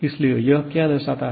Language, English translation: Hindi, What does it indicate